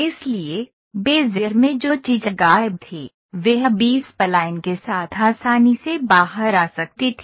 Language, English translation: Hindi, So, what was missing in Bezier could come out easily with B spline